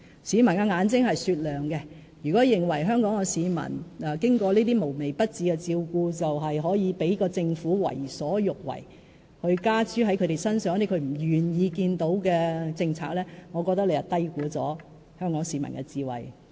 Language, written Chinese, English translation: Cantonese, 市民眼睛是雪亮的，如果郭醫生認為香港市民經過這些無微不至的照顧便可以讓政府為所欲為，讓政府把他們不願意看到的政策加諸市民身上，我覺得郭醫生你是低估了香港市民的智慧。, The people all have discerning eyes . I think Dr KWOK must be underestimating Hong Kong peoples wisdom if he thinks that after benefiting from all these tasks that show every concern for them the people of Hong Kong will allow the Government to do whatever it wants and impose undesirable policies on them